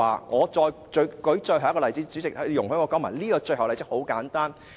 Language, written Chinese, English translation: Cantonese, 我再舉最後一個例子，主席，請你容許我提出這個很簡單的例子。, Let me give one last example . Please allow me to give this simple example President